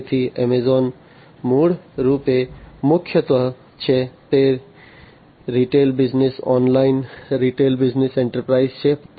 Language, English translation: Gujarati, So, Amazon is originally primarily, it is a retail business online retail business enterprise